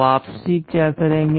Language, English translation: Hindi, What the return will do